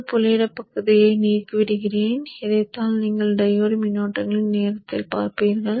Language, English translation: Tamil, Let me remove this dotted portion and this is what you would actually see on a scope for the diode currents